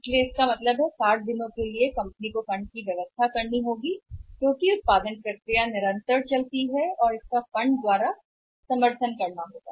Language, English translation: Hindi, So, it means for 60 days the company has to arrange for the funds because the production process is continuous and it has to be supported with the funds